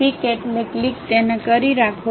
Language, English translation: Gujarati, Pick means click; hold it